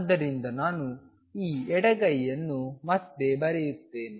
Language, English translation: Kannada, So, let me write this left hand side again